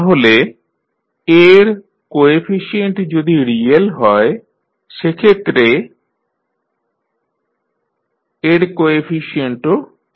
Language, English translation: Bengali, So, coefficient of A are real then the coefficient of sI minus A determinant will also be real